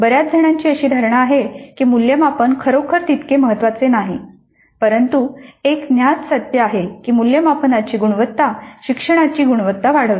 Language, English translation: Marathi, Many have a notion that assessment is really not that important, but it is a known fact that the quality of assessment drives the quality of learning